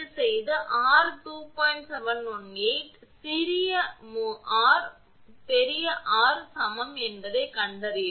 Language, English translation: Tamil, 718 small r, capital R is equal to